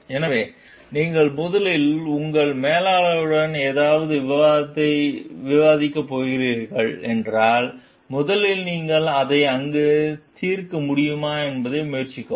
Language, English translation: Tamil, So, you know like first you have to if you are going to discuss something with your manager, first try whether you can solve it over there